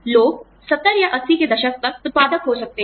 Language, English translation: Hindi, People are, can be productive, till 70 or 80's